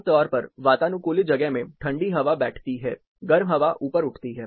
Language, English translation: Hindi, Typically in air condition spaces, cold air settles down, the warm air rises up